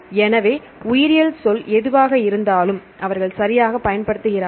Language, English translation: Tamil, So, whatever the biological term they use right